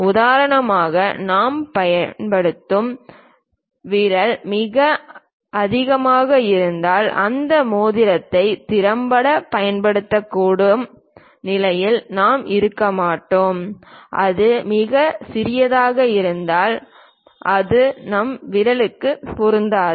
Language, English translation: Tamil, Even for example, the finger rings what we use if it is too large we will not be in a position to effectively use that ring, if it is too small it does not fit into our finger also